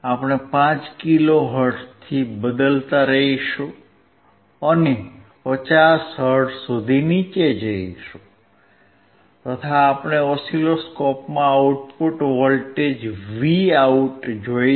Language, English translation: Gujarati, We will keep on changing from 5 kilo hertz we will go down to 50 hertz, and we will see the output voltage Vo in the oscilloscope